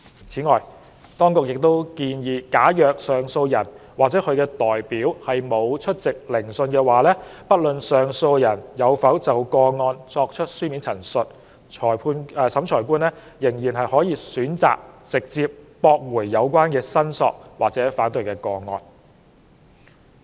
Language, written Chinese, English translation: Cantonese, 此外，當局亦建議假如上訴人或其代表沒有出席聆訊，不論上訴人有否就個案作出書面申述，審裁官可選擇直接駁回有關申索或反對個案。, Besides the Administration also proposes an option for the Revising Officer to dismiss the claim or objection case direct if the appellant or hisher representative does not attend the hearing regardless of whether the appellant has made representations in writing regarding the case